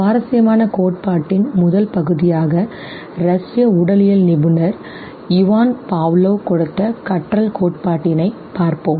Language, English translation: Tamil, We first come to the interesting theory, the first theory here in learning given by Russian physiologist Ivan Pavlov